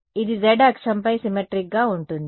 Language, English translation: Telugu, It will be symmetric about the z axis